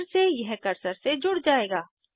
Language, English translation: Hindi, Again it will be tied to your cursor